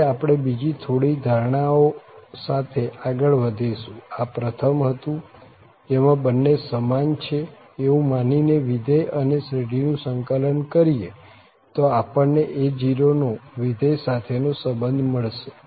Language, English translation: Gujarati, Now, we will move further with more assumptions, this was the first one that if we integrate the function and the series assuming that these two are equal, we got one relation of a0 to the function